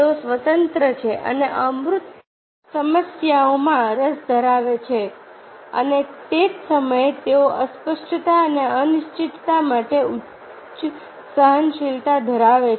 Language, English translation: Gujarati, they are interested in abstract problems and at the same time they may have high tolerance for ambiguity and uncertainty